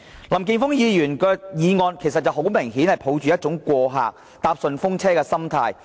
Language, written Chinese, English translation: Cantonese, 林健鋒議員的議案，顯示了他抱着過客、搭順風車的心態。, Mr Jeffrey LAMs motion shows his sojourner and hitch - hiking mentality